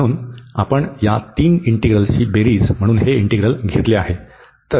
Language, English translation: Marathi, So, we have taken this integral as a sum of these three integrals